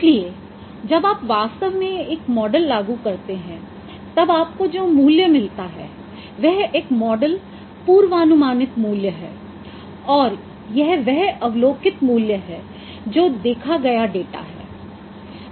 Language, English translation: Hindi, So now there are when you actually apply a model then the value what you get that is the model predicted value and this is the value which is the observed value this is an observed value